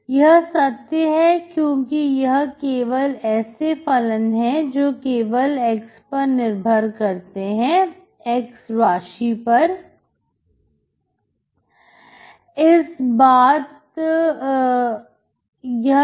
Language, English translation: Hindi, That is true because there are only functions which are only depending on, x variable